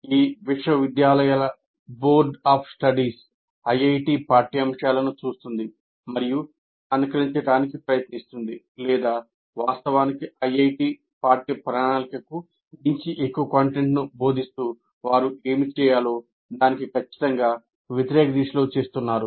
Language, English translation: Telugu, Whenever a curriculum is to be designed, the boards of studies of these universities look at IIT curriculum and try to, in fact, add more content to the IIT curriculum, which is exactly the opposite of what they should be doing